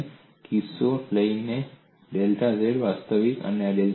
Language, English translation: Gujarati, We are taking a case, when delta z is real